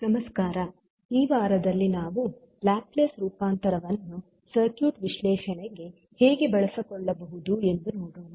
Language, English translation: Kannada, Namaskar, so in this week we will see how we can utilize the Laplace transform into circuit analysis